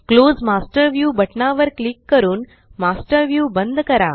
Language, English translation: Marathi, Close the Master View by clicking on the Close Master View button